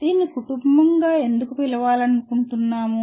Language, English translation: Telugu, Why do we want to call it family